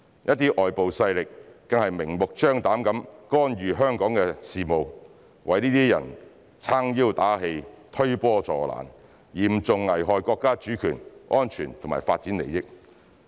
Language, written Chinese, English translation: Cantonese, 一些外部勢力更是明目張膽地干預香港的事務，為這些人撐腰打氣、推波助瀾，嚴重危害國家主權、安全和發展利益。, Some external forces also blatantly meddled with Hong Kongs affairs emboldened those people and intensified the disturbances putting Chinas national sovereignty security and development interests into serious jeopardy